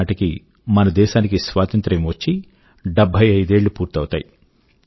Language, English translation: Telugu, In 2022, we will be celebrating 75 years of Independence